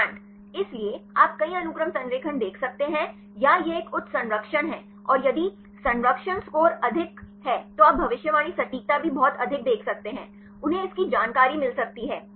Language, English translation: Hindi, Strand; so, you can see the multiple sequence alignment or this is a highly conserved and if the conservation score is high then you can see the prediction accuracy also very high; they can get this information